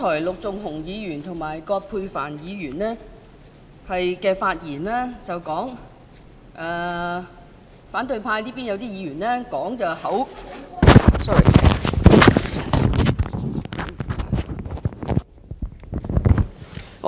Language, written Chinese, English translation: Cantonese, 陸頌雄議員和葛珮帆議員剛才在發言中提到，有些反對派議員是......, When Mr LUK Chung - hung and Dr Elizabeth QUAT spoke just now they mentioned that a number of opposition Members were sorry I did not intend to rise to speak since just now Mr LUK Chung - hung